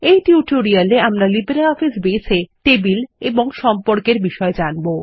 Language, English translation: Bengali, In this tutorial, we will cover Tables and Relationships in LibreOffice Base